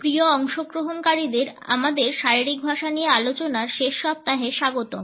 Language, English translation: Bengali, Dear participants welcome to the last week of our discussions on Body Language